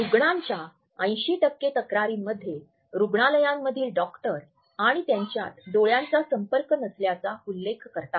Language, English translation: Marathi, 80 percent of all patient complaints in hospitals mention a lack of eye contact between the doctor and the